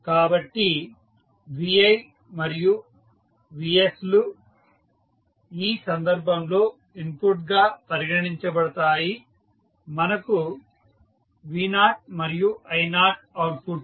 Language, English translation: Telugu, So, vi and vs are considered as an input in this case and v naught i naught are the outputs